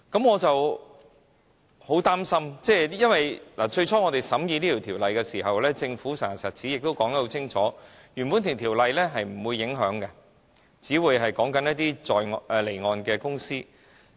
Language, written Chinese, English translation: Cantonese, 我很擔心，最初審議此項修例的時候，政府實牙實齒亦說得很清楚，是不會影響原本的條例的，因只會涉及一些離岸公司。, In fact these companies may really benefit from this formula . I am deeply worried . When the legislative amendment was first reviewed the Government firmly assured that the Bill would not affect the existing Ordinance that it would involve offshore activities only